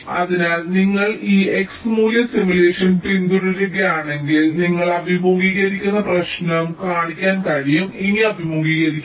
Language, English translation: Malayalam, so if you follow this x value simulation, it can be shown that the problem that you are facing, that we will not be facing anymore